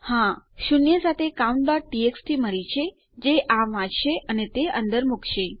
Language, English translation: Gujarati, Yes, weve got count.txt with zero that will read this and put it into that